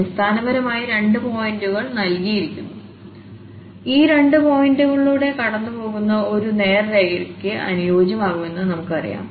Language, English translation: Malayalam, So, basically two points are given and as we know that we can fit a straight line which will pass through these two points